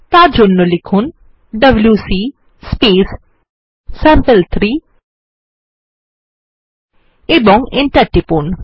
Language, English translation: Bengali, For that we would write wc sample3 and press enter